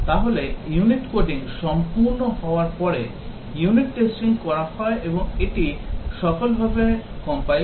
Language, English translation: Bengali, So, unit testing is carried out after the unit coding is complete and it compiles successfully